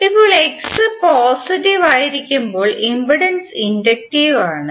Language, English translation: Malayalam, Now impedance is inductive when X is positive